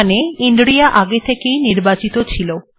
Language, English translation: Bengali, Okay, so inria is already selected